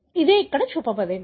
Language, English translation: Telugu, This is what is shown here